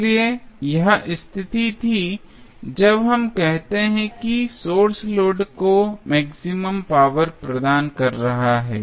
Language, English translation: Hindi, So, this was the condition when we say that the source is delivering maximum power to the load